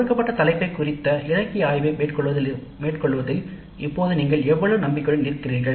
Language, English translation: Tamil, How confident do you feel now in carrying out the literature survey related to a given problem related to self learning